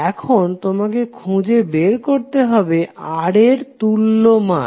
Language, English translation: Bengali, Now, you need to find the equivalent value of Ra